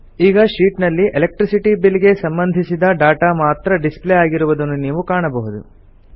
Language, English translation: Kannada, You see that only the data related to Electricity Bill is displayed in the sheet